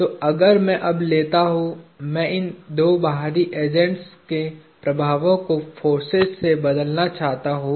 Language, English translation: Hindi, So, if I now take; I want to replace the act of these two external agents with forces